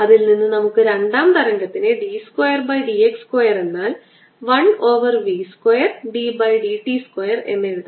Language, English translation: Malayalam, this immediately implies that the secondary wave, b two by d f square would b nothing but one over v square, d by d t square